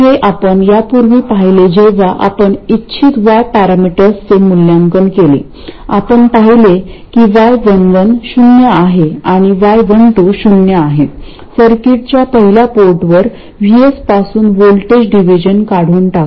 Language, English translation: Marathi, This we saw earlier when we evaluated the desirable Y parameters, we saw that Y 1 1 being 0 and Y 1 2 being 0 eliminate any voltage division from VS to the first port of the circuit